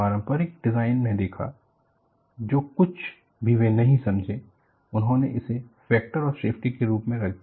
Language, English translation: Hindi, See, in conventional design, whatever they do not understand, they put it as a factor of safety